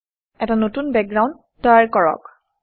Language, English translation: Assamese, Create a new background